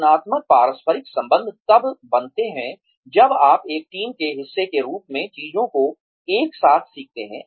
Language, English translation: Hindi, Constructive interpersonal relationships would be built, when you learn things together, as part of a team